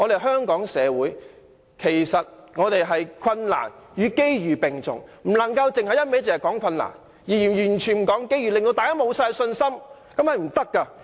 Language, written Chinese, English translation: Cantonese, 香港目前困難與機遇並重，我們不能只提困難而完全不提機遇，令大家信心盡失。, At present there are difficulties as well as opportunities for Hong Kong . We cannot only mention the difficulties and completely ignore the opportunities hence disheartening the public